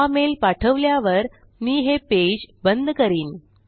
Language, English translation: Marathi, After sending our mail Ill just kill the page